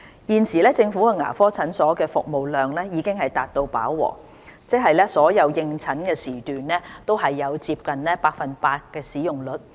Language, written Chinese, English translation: Cantonese, 現時，政府牙科診所的服務量已達飽和，即所有應診時段均有接近百分百的使用率。, Currently government dental clinics are operating at their full capacity with a usage rate of almost 100 % for all appointment time slots